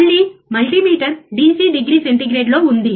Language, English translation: Telugu, Again, the multimeter is in DC degree centigrade